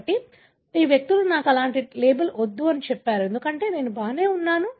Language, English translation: Telugu, So, but these individuals said that I do not want that kind of label, because I am fine